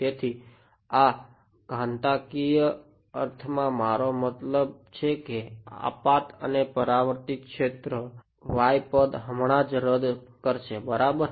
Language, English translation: Gujarati, So, in this exponential I mean this incident and reflected fields, the y term will just cancel off right yeah